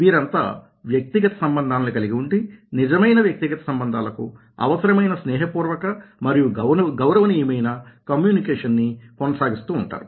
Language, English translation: Telugu, they all attend to personal relationships and carry out the friendly and respectful communication necessary for truly personal relationships